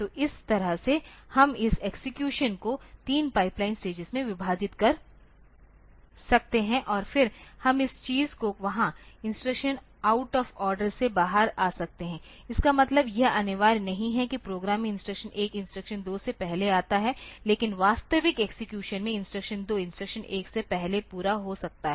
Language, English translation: Hindi, So, this way we can have this we can have this execution divided into 3 pipeline stages and then we can this thing there the instructions can commit out of order also means it is not mandatory that the in the program the instructions 1 comes before instruction 2, but the in the actual execution instruction 2 may be completed before instruction 1